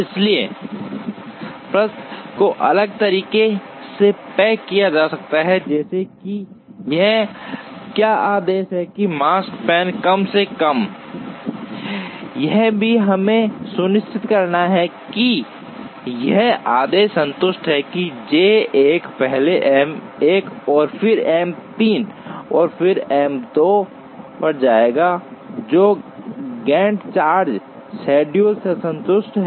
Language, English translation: Hindi, So, the question can be posed differently as what is the order such that this Makespan is minimized, also we have to ensure that this order is satisfied, that J 1 will first visit M 1, and then M 3, and then M 2, which has been satisfied by the Gantt chart schedule